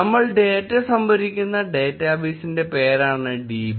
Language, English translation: Malayalam, Db is the name of the database where we will store the data